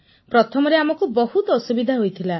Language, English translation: Odia, Initially we faced a lot of problems